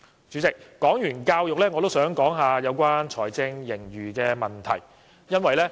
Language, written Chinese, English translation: Cantonese, 主席，說罷教育，我也想談談有關財政盈餘的問題。, President having discussed education I would also like to talk about the fiscal surplus